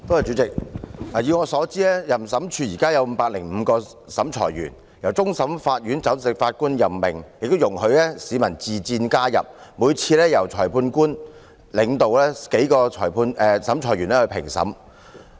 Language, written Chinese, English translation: Cantonese, 以我所知，審裁處現時有505名審裁委員，由終審法院首席法官任命，亦容許市民自薦加入，每次評審由主審裁判官領導數名審裁委員進行。, As far as I know there are at present 505 adjudicators who are appointed by the Chief Justice of the Court of Final Appeal and members of the public may also volunteer to become an adjudicator . Each classification is made by a panel consisting of the presiding magistrate and several adjudicators